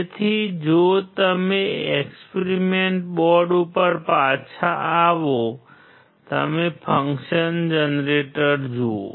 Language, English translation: Gujarati, So, if you come back to the experiment board and you see the function generator